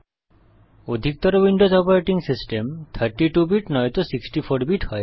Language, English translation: Bengali, Most Windows Operating systems are either 32 bit or 64 bit